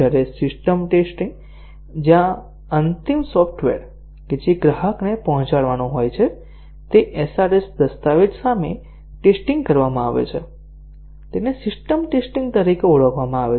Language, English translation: Gujarati, Whereas the system testing, where the final software that is to be delivered to the customer is tested against the SRS document is known as system testing